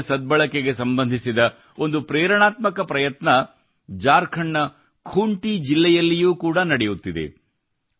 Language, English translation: Kannada, An inspiring effort related to the efficient use of water is also being undertaken in Khunti district of Jharkhand